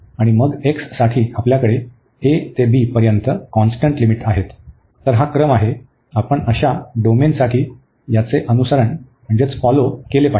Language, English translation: Marathi, And for then x we have the constant limits from a to b, so that is the sequence, we should follow for such domain